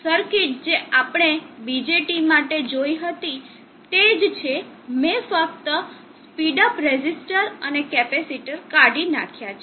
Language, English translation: Gujarati, Circuit is similar to what we saw for the BJT only have removed the speed up resistance and capacitors of the speed up circuit is removed